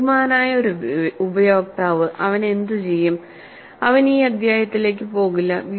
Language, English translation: Malayalam, A clever user, what he will do is, he will not go into this chapter at all